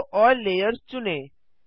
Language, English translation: Hindi, Select show all layers